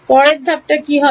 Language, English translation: Bengali, What is next step